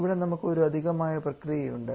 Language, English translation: Malayalam, Then we have one additional part here